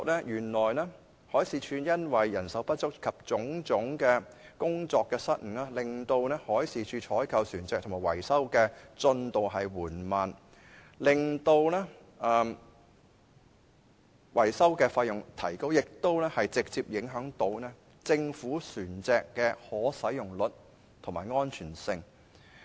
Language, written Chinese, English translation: Cantonese, 原來海事處因為人手不足及種種工作失誤，而令採購及維修船隻的進度緩慢，並令維修費用增加，更直接影響政府船隻的可使用率及安全性。, It is found out that manpower shortage and various mistakes in work have delayed the progress of procurement and maintenance of vessels increased the maintenance fees and even directly affected the availability rate and safety of government vessels